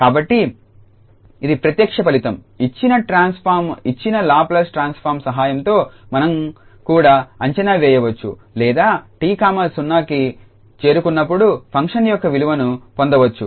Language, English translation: Telugu, So, this is a direct result that with the help of the given transform given Laplace transform we can also predict or we can get the value of the function as t approaches to 0